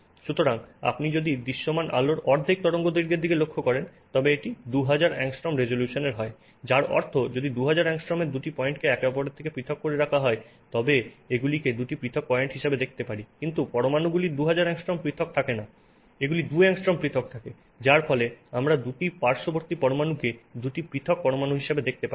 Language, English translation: Bengali, So, so if you look at half the wavelength of visible light, basically this means 2,000 angstroms resolution which means what it means that if two points are 2,000 angstroms separated from each other I can see them as two separate points but atoms are not 2,000 angstroms apart there are two angstroms apart which means I cannot see two atoms which are sitting next to each other as two separate atoms